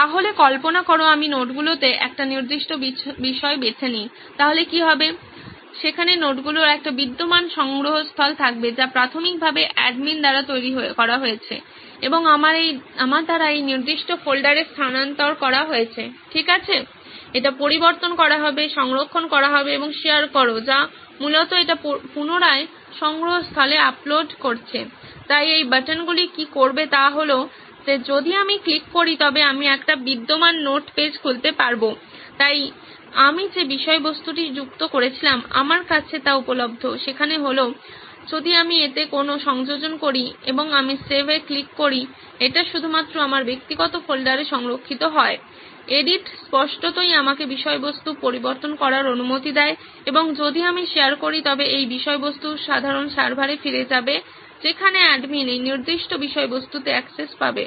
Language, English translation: Bengali, So imagine I choose a certain subject in notes, so what happens would be that, there would be an existing repository of notes that is been initially created by the admin and transferred to this particular folder by me right okay, it will be edit, save and share which is basically uploading it back into the repository, so what these buttons would do is that if I click on I open an existing node page, so there is the content that I have added available to me, if I make any addition to it and I click on save it gets saved into only my personal folder, edit obviously allows me to edit the content and if I share then this content would be going back into the common server where the admin would have access to this particular content